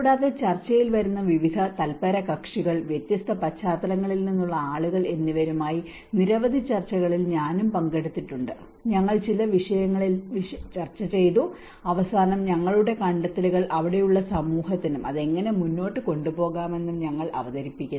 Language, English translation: Malayalam, And I was also participated in number of discussions there with various different stakeholders coming into the discussion, people from different backgrounds and we did discussed on certain themes, and finally we also present our findings to the community present over there and how to take it forward